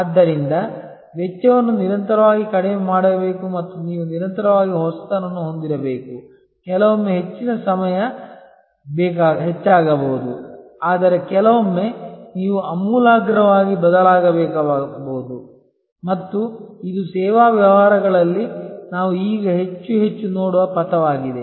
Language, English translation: Kannada, So, cost must be continuously lowered and you must continuously innovate, sometimes most of the time incremental, but sometimes you may have to radically change and this is the trajectory that we see now in service businesses more and more